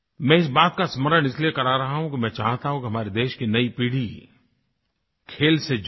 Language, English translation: Hindi, I am reminding you of this because I want the younger generation of our country to take part in sports